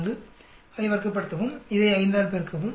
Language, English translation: Tamil, 4, square it up, multiply by 5 this